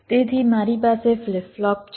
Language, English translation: Gujarati, so so i have a flip flop